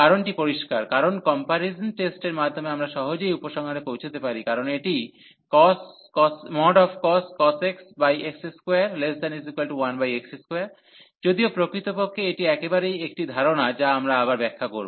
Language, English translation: Bengali, And the reason is clear, because by the comparison test we can easily conclude, because this cos x over over x square this is less than this 1 over x square indeed this absolutely a concept we will explain again